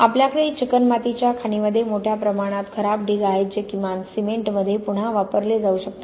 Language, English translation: Marathi, We have huge spoil heaps in clay quarries that at least can be reused in cement